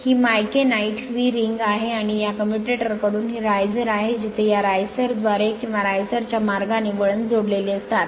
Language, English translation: Marathi, This is micanite your vee ring, and this is riser from this commutator where the windings are connected through this riser or lug right